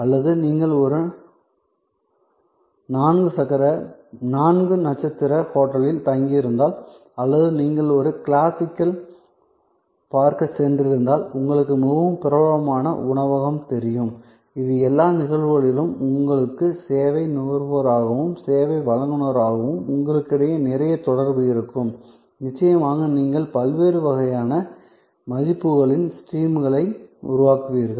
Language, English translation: Tamil, Or if you are staying at a four star hotel or you have gone to visit a classical, you know very famous restaurant, in all these cases there will be lot of interaction between you as the service consumer and them as a service provider and together of course, you will create different kinds of streams of values